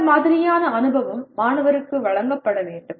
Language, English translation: Tamil, And that kind of experience should be given to the student